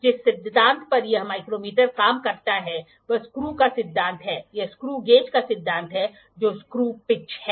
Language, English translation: Hindi, The principle on which this micrometer work is the principle of screw, it is the principle of the screw gauge that is the screw pitch